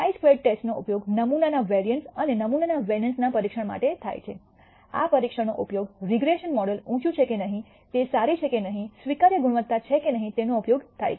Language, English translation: Gujarati, The chi square test is used for testing the variance of a sample and the vari ance of a sample, this test is used to whether a regression model is high is good or not, whether acceptable quality or not